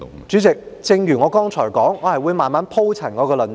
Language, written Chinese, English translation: Cantonese, 主席，正如我剛才所說，我會慢慢鋪陳我的論點。, Chairman as I have said earlier I will take my time to expound my arguments